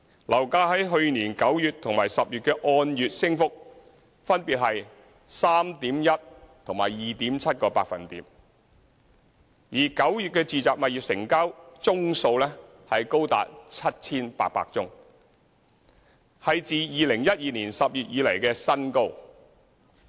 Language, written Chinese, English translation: Cantonese, 樓價在去年9月和10月的按月升幅分別是 3.1% 和 2.7%； 而9月的住宅物業成交宗數高達 7,800 宗，是自2012年10月以來的新高。, The month - on - month increase in September and October last year even reached 3.1 % and 2.7 % respectively with 7 800 residential property transactions in September marking the highest level since October 2012